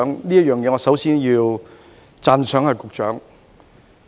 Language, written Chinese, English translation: Cantonese, 就此，我首先要讚賞局長。, So before all else I have to commend him for this